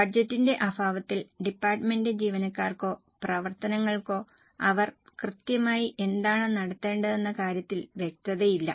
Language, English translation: Malayalam, In absence of budget, there will be lack of clarity amongst the departments, employees or functions as to what exactly they are supposed to achieve